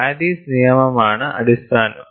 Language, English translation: Malayalam, Paris law is the basis